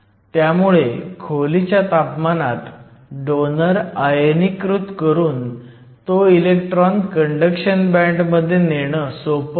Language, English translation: Marathi, So, at room temperature it is possible to easily ionize the donors and take the electron to the conduction band